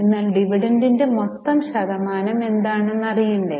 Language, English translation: Malayalam, Now how will you calculate the dividend percent